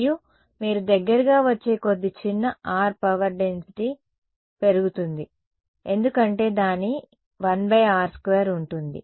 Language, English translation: Telugu, And you can see as you get closer at smaller r power density increases because its 1 by r square right